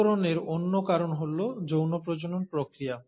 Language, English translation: Bengali, The other reason for the variations has been the process of sexual reproduction